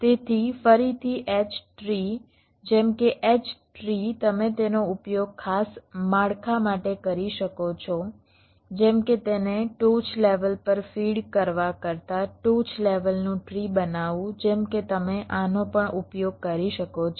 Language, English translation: Gujarati, so again, h trees, ah, just like h trees, you can use it for special structure, like creating a top level tree than feeding it to the next level, like that you can use this also